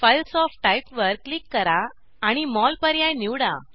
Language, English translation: Marathi, Click on Files of Type and select MOL option